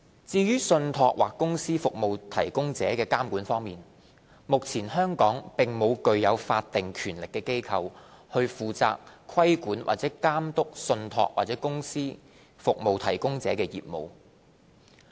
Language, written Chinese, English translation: Cantonese, 至於在信託或公司服務提供者的監管方面，目前香港並無具有法定權力的機構，負責規管或監督信託或公司服務提供者的業務。, With regard to the supervision of TCSPs there is currently no authority with statutory power to regulate or oversee the business of TCSPs in Hong Kong